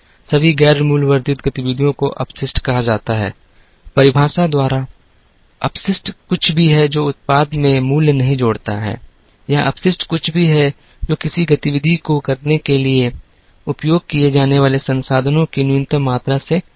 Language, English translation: Hindi, All the non value added activities are called wastes, wastes by definition is anything that does not add value to the product or waste is anything that is more than the minimum amount of resources used to carry out an activity